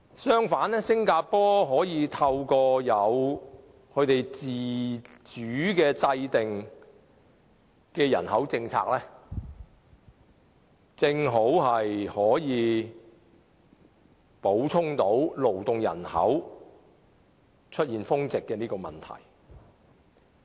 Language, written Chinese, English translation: Cantonese, 相反，新加坡可以透過自主制訂的人口政策以作補充，解決勞動人口出現峰值的問題。, In contrast Singapore can resolve the problems arising from its working population peak by formulating its own supplementary population policy